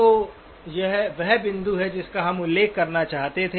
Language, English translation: Hindi, So this is the point that we wanted to mention